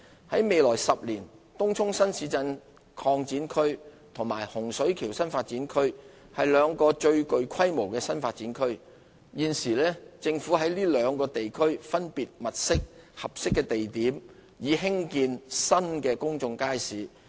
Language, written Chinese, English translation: Cantonese, 在未來10年，東涌新市鎮擴展區及洪水橋新發展區是兩個最具規模的新發展區，現時政府在這兩個地區分別物色合適的地點，以興建新的公眾街市。, In the next decade Tung Chung New Town Extension and Hung Shui Kiu New Development Area will emerge as the two new development areas of the largest scale . The Government is now identifying suitable locations in these two areas for building new public markets